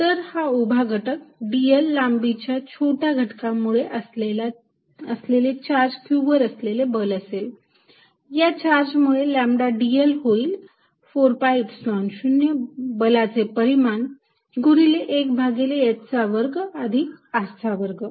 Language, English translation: Marathi, So, the vertical component the force due to this small element of length dl is going to be on charge q, due to this charge lambda dl is going to be 4 pi Epsilon 0 force magnitude times 1 over h square plus r square